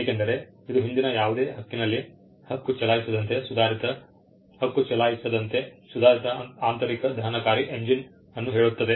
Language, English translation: Kannada, it says an improved internal combustion engine as claimed in any of the preceding claims